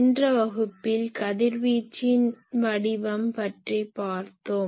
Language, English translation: Tamil, In last class we have seen the radiation pattern